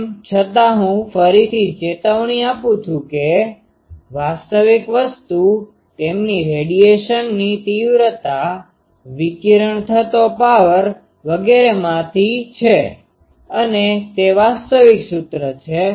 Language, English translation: Gujarati, Though I again caution that actual thing is from their intensity of radiation the power radiated etc